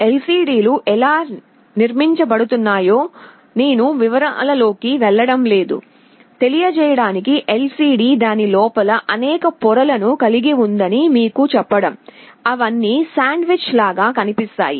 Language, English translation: Telugu, I am not going into the details of how LCDs are constructed; just like to tell you that LCD has a number of layers inside it, they are all sandwiched together